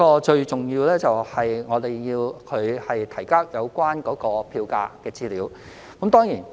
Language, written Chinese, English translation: Cantonese, 最重要的是，我們要求營辦商提交有關票價的資料。, Most importantly we will request operators to submit information on fares